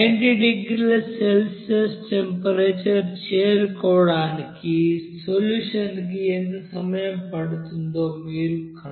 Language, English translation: Telugu, Now you have to find out how long will the solution take to reach its temperature to 90 degrees Celsius